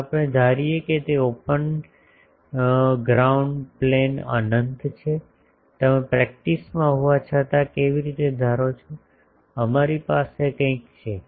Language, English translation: Gujarati, If we assume that that open that ground plane is infinite how you assume though in practice, we have something